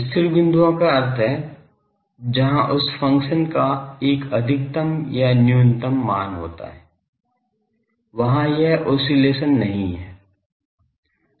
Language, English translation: Hindi, Stationary points means where the, that function as a maxima or minima those stationary points, there it is not an oscillating thing